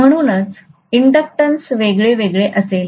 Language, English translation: Marathi, So this is how the inductance will vary, right